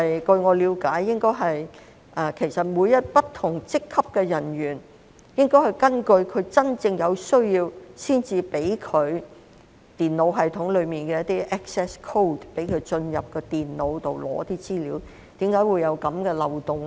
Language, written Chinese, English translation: Cantonese, 據我了解，其實每位不同職級的人員，也應該在有真正需要時，才可得到電腦系統中的一些 access code， 讓他進入電腦拿取資料，為何今次會出現這個漏洞呢？, In actual fact as far as I understand it officers of different ranks should be able to individually obtain some access codes to enter the computer system only when they have a genuine need to retrieve information from it . So why was there such a loophole in this case?